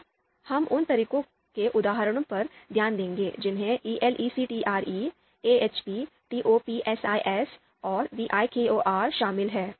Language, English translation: Hindi, We look at the examples of outranking methods then we have ELECTRE, AHP, TOPSIS, VIKOR